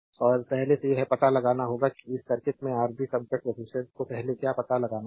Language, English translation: Hindi, And you have to find out first what is Rab equivalent resistance of this circuit first you have to find out right